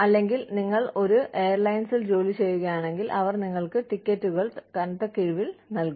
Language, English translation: Malayalam, Or, maybe, if you are working for an airline, they could give you tickets, you know, at heavy discount, etcetera